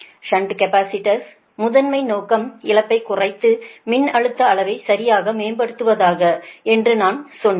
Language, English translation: Tamil, i told you there, primary objective of shunt capacitor is to reduce the loss and improve the voltage magnitude